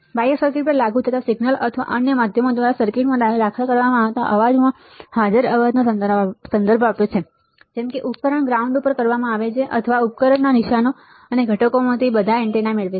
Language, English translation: Gujarati, External refers to noise present in the signal being applied to the circuit or to the noise introduced into the circuit by another means, such as conducted on a system ground or received one of them many antennas from the traces and components in the system